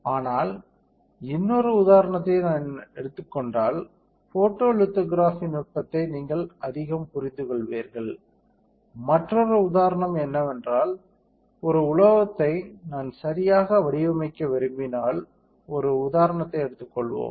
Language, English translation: Tamil, But if I take another example you will understand appreciate the photolithography technique much more, the another example is that if I want to pattern a metal all right, let us take an example